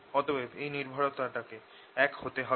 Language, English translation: Bengali, so this dependence has to be the same